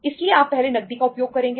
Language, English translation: Hindi, So if you first you will utilize the cash